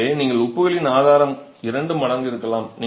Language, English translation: Tamil, So, the source of the salts can be twofold